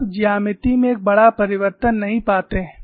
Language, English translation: Hindi, You do not find a great change in the geometry